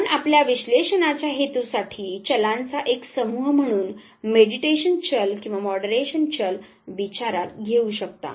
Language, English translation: Marathi, You can also for your purpose of analysis you can consider one set variable as either mediating variable or the moderating variable